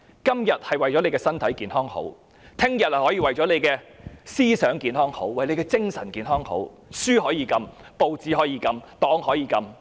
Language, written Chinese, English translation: Cantonese, 今天為了大家的身體健康而這樣做，明天也可以為了你的思想和精神健康，而禁止出版某些書籍、報紙，以至其他種種。, When such bans can be imposed for the sake of everyones physical health the publication of certain books newspapers and other stuff can also be prohibited for the benefit of your ideological and mental health